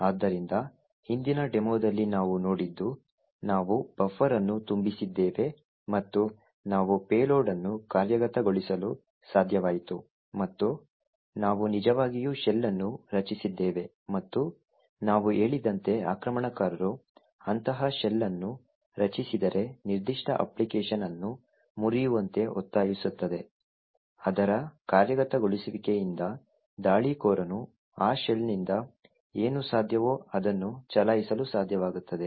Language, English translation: Kannada, So in the previous demo what we have seen is that we overflowed a buffer and we were able to execute a payload and we actually created a shell and what we mentioned is that if an attacker creates such a shell forcing a particular application to be subverted from its execution, the attacker would be able to run whatever is possible from that shell